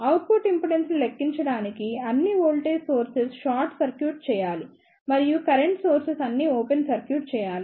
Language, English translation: Telugu, To calculate the output impedance just short circuit all the voltage sources and open circuit all the current sources